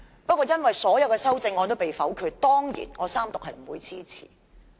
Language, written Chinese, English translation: Cantonese, 不過，因為所有修正案也被否決，我當然不會支持三讀。, But as all the amendments have been voted down I certainly will not support the Third Reading of the Bill